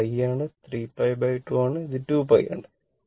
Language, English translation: Malayalam, This is pi and this is your 3 pi by 2 and this is your 2 pi right